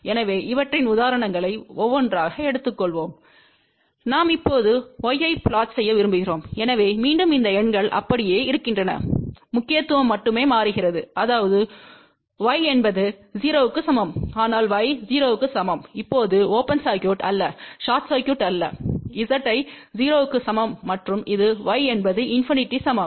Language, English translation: Tamil, So, will take examples of these things one by one; suppose, we want to now plot y , so again these numbers remain as it is, the significance only changes, that is y is equals to 0 but y equal to 0 now will represent open circuit, not short circuit as Z equal to 0 and this is y equals to infinity